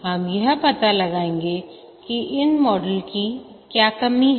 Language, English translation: Hindi, We will find out what are the shortcomings of these models